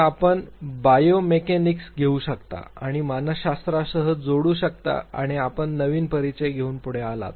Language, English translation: Marathi, So, you can take biomechanics and added with psychology and you come forward with a new introduction